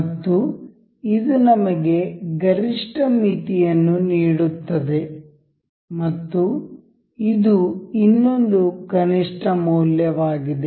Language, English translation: Kannada, And it gives us a maximum limit and its another this is minimum value